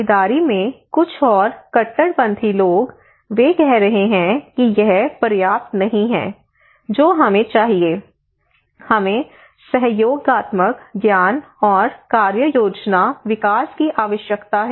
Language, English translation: Hindi, Some more radical people in participations, they are saying this is not even enough what we need, we need collaborative knowledge and action plan development collaborative, collaborative knowledge